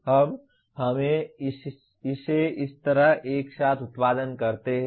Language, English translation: Hindi, Now we produce it together like this